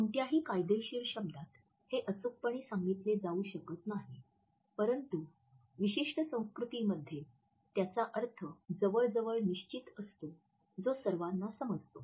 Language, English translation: Marathi, This may not exactly be codified in any legal term of the word, but within a culture or across certain cultures it has almost a fixed the meaning which is understood by all